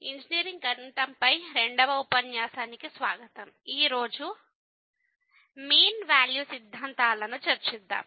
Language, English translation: Telugu, So, welcome to the second lecture on Engineering Mathematics – I and today, we will discuss Mean Value Theorems